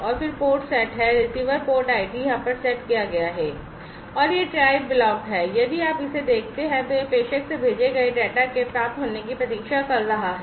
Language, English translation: Hindi, And then the port is set the receiver port id is set over here and this try block if you look at it is looking for, it is waiting for the receiving of the data from the that is sent from the sender